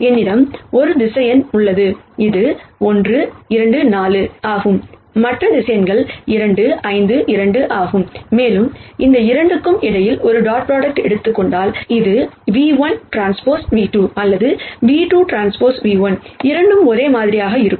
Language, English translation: Tamil, Let us say, I have one vector which is 1 minus 2 4 and I have the other vector which is 2 5 2 and if I take a dot product between these 2, which is v 1 transpose v 2 or v 2 transpose v 1, both will be the same